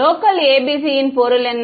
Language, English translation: Tamil, What is the meaning of a local ABC